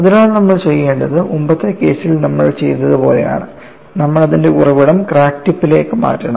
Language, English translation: Malayalam, So, what you will have to do is like we have done in the earlier cases, you have to shift the origin to the crack tip